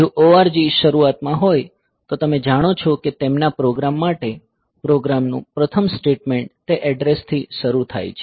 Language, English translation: Gujarati, So, if the org is there at the beginning; so, you know that their program the first statement of the program is starting from that address